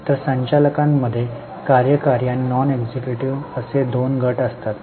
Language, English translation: Marathi, So, within directors there are two groups, executive and non executive